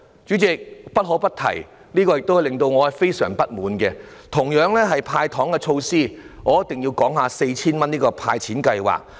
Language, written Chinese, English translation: Cantonese, 主席，我不得不提，有一點令我感到非常不滿，也是關於"派糖"的措施，我一定要談談 4,000 元的"派錢"計劃。, President one point I must mention which I find most unsatisfactory is also about the measure of giving away candies . I must talk about the scheme of the cash disbursement of 4,000